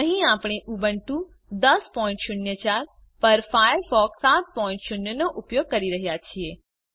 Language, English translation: Gujarati, Here we are using Firefox 7.0 on Ubuntu 10.04